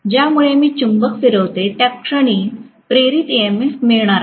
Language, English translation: Marathi, The moment I start rotating the magnet am going to get induced DMF